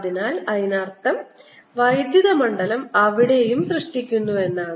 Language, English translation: Malayalam, so that means electrical generator there also